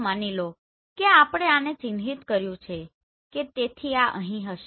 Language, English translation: Gujarati, So suppose we have marked this so this will be here right